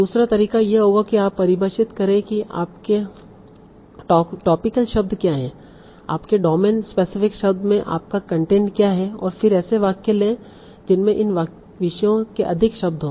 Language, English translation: Hindi, Second approach would be you define what are your topical words, what are your content, this domain specific words, and then take sentences that contain more of these topic bearing words